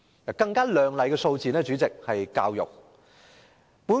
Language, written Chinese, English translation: Cantonese, 主席，更亮麗的數字是教育的經常開支。, President another more glamorous figure is the recurrent expenditure on education